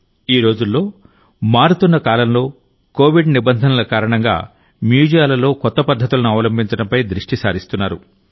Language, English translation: Telugu, Today, in the changing times and due to the covid protocols, emphasis is being placed on adopting new methods in museums